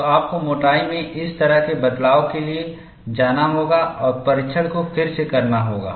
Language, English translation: Hindi, So, you will have to go for this kind of change in thickness and redo the test